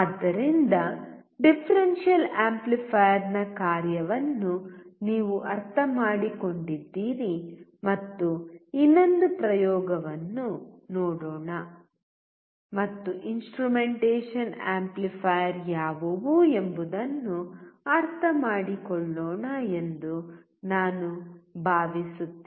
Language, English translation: Kannada, So, I hope that you understood the function of the differential amplifier and let us see another experiment and understand what are the instrumentation amplifier